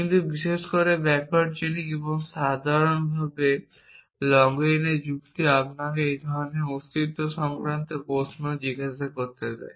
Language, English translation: Bengali, But backward chaining in particular and reasoning in login in general allow you to ask existential queries like this